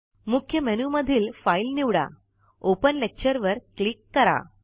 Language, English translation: Marathi, From the Main menu, select File, click Open Lecture